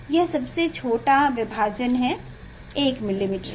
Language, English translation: Hindi, it is a smallest division is 1 millimetre